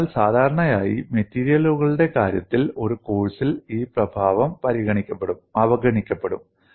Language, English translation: Malayalam, So, usually this effect is ignored in a course on strength of materials